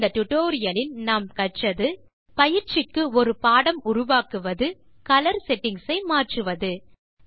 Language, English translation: Tamil, In this tutorial we learnt to create a lecture for training and modify colour settings